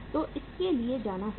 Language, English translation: Hindi, So will go for it